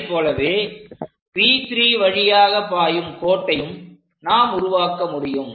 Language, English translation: Tamil, Similarly, we will be in a position to construct a line which pass through P 3